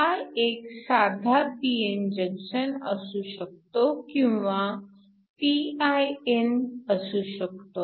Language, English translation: Marathi, This can a simple p n junction or modification of that which is your pin junction